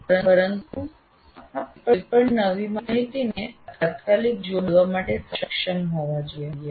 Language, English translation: Gujarati, But you should be able to immediately link any new information to that